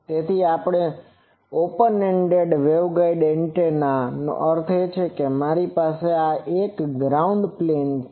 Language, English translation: Gujarati, So, the open ended waveguide antenna means I have that on a ground plane so, this is the ground plane